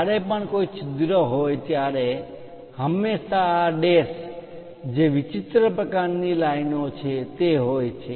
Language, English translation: Gujarati, Whenever hole is there, we always have this dash the odd kind of lines